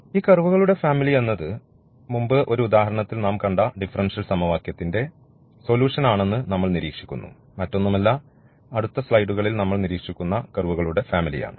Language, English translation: Malayalam, And now what we also reserve that the solution of the differential equation which we have also seen in the previous example, it is the family of curves nothing, but nothing else, but the family of curves which we will also observe in next slides